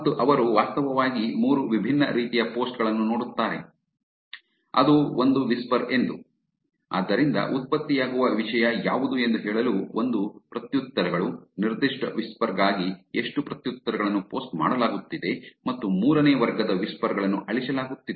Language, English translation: Kannada, And they actually look at 3 different types of posts, which is one as whisper, so to say what is content that is getting generated, one is the replies, which is how many replies are being posted for the particular whisper